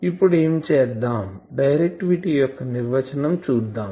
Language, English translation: Telugu, Now, you see what we will do, we will define directivity